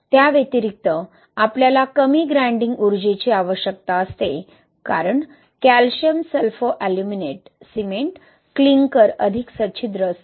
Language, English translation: Marathi, In addition to that we need less grinding energy because the calcium Sulfoaluminate cement clinker is more porous